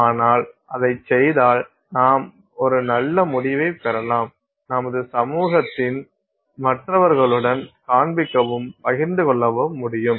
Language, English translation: Tamil, But if you do it, you have a very nice result that you can show and share with the rest of the community